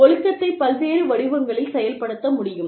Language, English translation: Tamil, Discipline can be enforced, in various forms